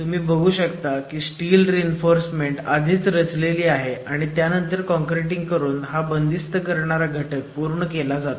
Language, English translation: Marathi, have the steel reinforcement in position already and then concreting is done to complete the confining element